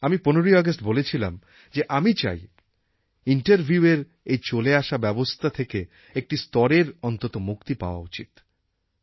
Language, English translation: Bengali, I had mentioned in my speech on 15th August 2015 that this tradition of interview should at least end at some level